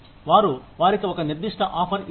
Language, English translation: Telugu, They give them, a certain offer